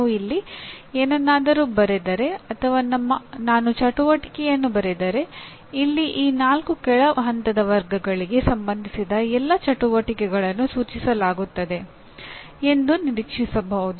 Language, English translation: Kannada, If I write something here or if I write an activity, identify an activity here; then it can be expected all the activities related to these four lower level categories are implied